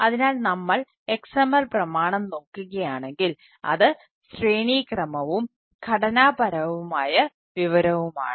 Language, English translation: Malayalam, so, ah, if we, if we look at the xml document, it is hierarchical and its a structured information, all right